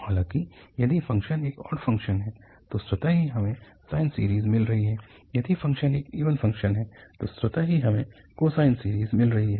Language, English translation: Hindi, However, if the function is an odd function, automatically we are getting the sine series, if the function is an even function automatically we are getting as cosine series